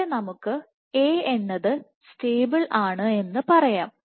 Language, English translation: Malayalam, And you have B which is of course stable